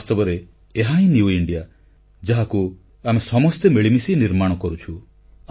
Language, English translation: Odia, In fact, this is the New India which we are all collectively building